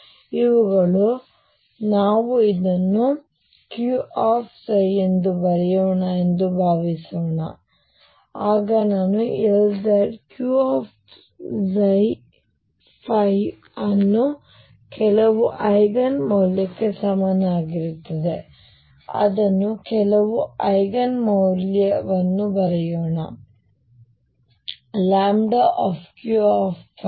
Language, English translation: Kannada, So, these are going to be suppose these are let me write this as Q phi then I am going to have L z Q phi equals some Eigen value let us write it some Eigen value lambda Q phi